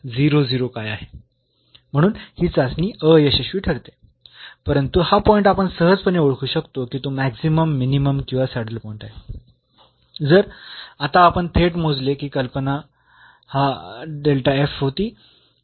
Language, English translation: Marathi, So, this test fails, but we can easily identify this point whether it is a point of maximum minimum or a saddle point, if we compute now directly the idea was this delta f